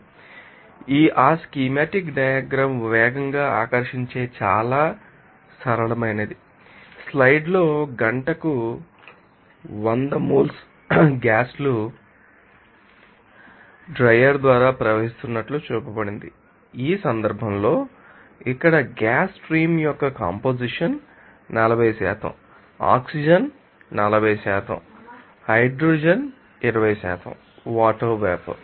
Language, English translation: Telugu, So, very simple that you have to you know draw fast that schematic diagram here it is shown on the slide that gases stream of hundred moles per hour is flowing through that, you know You know, dryer, you know in this case here a composition of the gas stream is 40% oxygen 40% hydrogen 20% water vapor